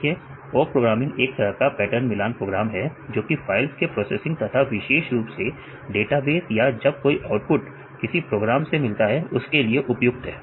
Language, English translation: Hindi, See it is kind of pattern matching program for processing the files, especially if your databases or any output obtained from this programs